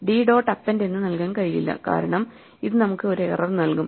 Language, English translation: Malayalam, So, we cannot say d dot append it will give us an error